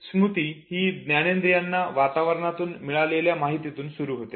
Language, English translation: Marathi, Memory starts with a sensory input received from the environment